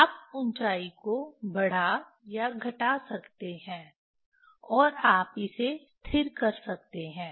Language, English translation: Hindi, you can increase or decrease the height and you can fix it